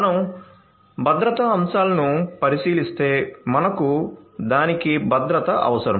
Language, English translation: Telugu, So, if you look at the security aspects we need security for everything